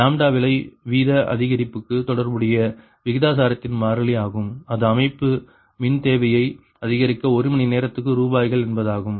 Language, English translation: Tamil, this thus lambda is the constant of proportionality relating to cost rate increase, that is, rupees per hour to increase in system power demand, right